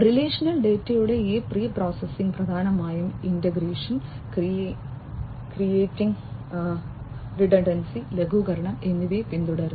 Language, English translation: Malayalam, And this pre processing of relational data mainly follows integration, clearing, and redundancy mitigation